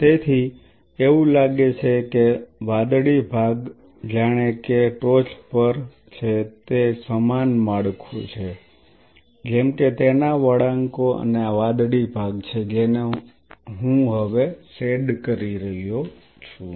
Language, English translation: Gujarati, So, it seems that the blue part is as if on the top it is the same structure like this its curves like this and this is the blue part the one which I am shading now